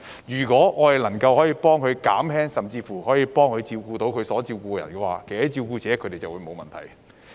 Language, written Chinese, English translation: Cantonese, 如果政府能夠幫輕一下甚至替他們照顧他們需照顧的人，那麼照顧者便沒有問題。, If the Government can ease the burden on carers or even look after the care recipients for them then they will not have any problems